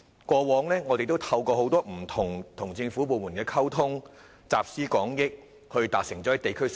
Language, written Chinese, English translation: Cantonese, 過往我們不時透過與不同政府部門溝通，集思廣益，促成很多地區建設。, In the past we have facilitated the development of a lot of community facilities through frequent communication with different government departments and extensive collection of views